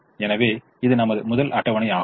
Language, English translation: Tamil, so this is our first table